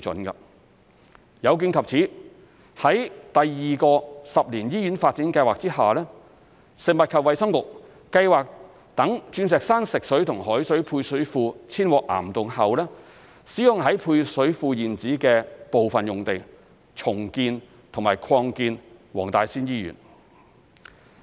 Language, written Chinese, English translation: Cantonese, 有見及此，於第二個十年醫院發展計劃下，食衞局計劃待鑽石山食水及海水配水庫遷往岩洞後，使用在配水庫現址的部分用地重建和擴建黃大仙醫院。, In view of this FHB is exploring the feasibility of redeveloping and expanding WTSH under the Second Ten - year Hospital Development Plan by making use of part of the reserved site at the Diamond Hill Fresh Water and Salt Water Service Reservoirs after its relocation to cavern